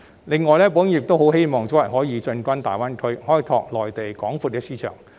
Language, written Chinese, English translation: Cantonese, 此外，保險業界亦希望可以早日進軍大灣區，開拓內地廣闊的市場。, Moreover the insurance industry also hopes that it can make its way into the Greater Bay Area GBA soon and explore the gigantic market in the Mainland